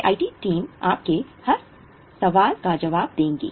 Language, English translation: Hindi, We will be responding to each and every question from your side